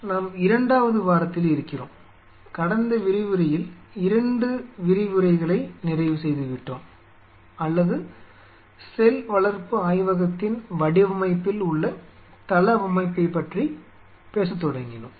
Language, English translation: Tamil, So, we are into the second week and we have finished 2 lectures in the last lecture we talked about the or rather started talking about the layout in the design of the cell culture lab